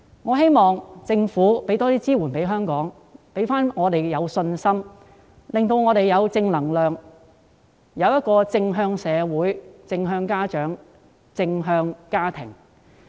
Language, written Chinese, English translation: Cantonese, 我希望政府向香港提供更多支援，令我們重拾信心及正能量，並有正向的社會、正向的家長及正向的家庭。, I hope that the Government will provide more support to Hong Kong so that we can regain confidence and positive energy thus the community parents and families can stay positive